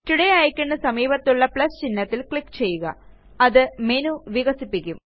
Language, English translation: Malayalam, Click on the plus sign next to the Today icon, to expand the menu